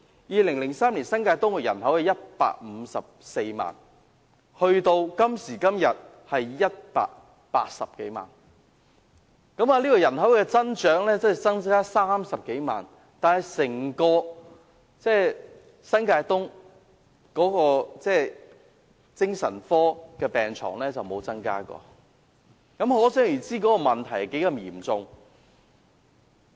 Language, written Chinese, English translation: Cantonese, 2003年，新界東人口是154萬，而今時今日的新界東人口則有180多萬，人口增長30多萬，但整個新界東的精神科病床卻沒有增加，問題可想而知有多嚴重。, Today New Territories East has a population of more than 1.8 million compared to 1.54 million in 2003 but there has been no increase in the number of psychiatric beds in New Territories East as a whole . The gravity of the problem is thus imaginable